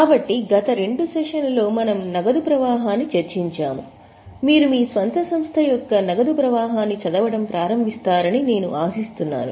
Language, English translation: Telugu, So, for last two sessions we have discussed cash flow, I hope you have seen, you have started reading the cash flow of your own company